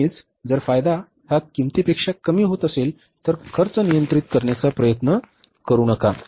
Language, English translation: Marathi, Always if the benefit are going to be lesser than the cost of reducing the or controlling the cost, never try that